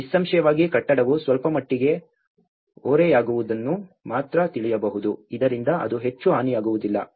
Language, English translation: Kannada, Obviously, the building can only you know tilt a bit, so that it will not affect much damage